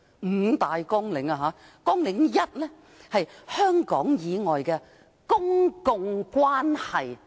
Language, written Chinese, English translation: Cantonese, 五大綱領包括：綱領 1： 香港以外的公共關係。, The five programmes include Programme 1 Public Relations Outside Hong Kong